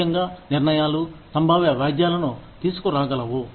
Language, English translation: Telugu, Especially, decisions, that can bring, potential lawsuits